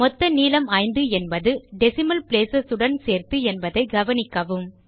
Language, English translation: Tamil, Notice that the total length is five, inclusive of the two decimal places